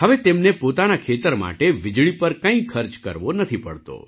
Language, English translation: Gujarati, Now they do not have to spend anything on electricity for their farm